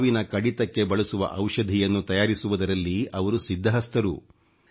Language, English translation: Kannada, She has mastery in synthesizing medicines used for treatment of snake bites